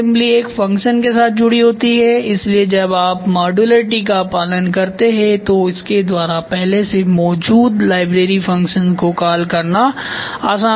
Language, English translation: Hindi, So, subassembly intern to a function so when you follow modularity it is easy to call those already existing library functions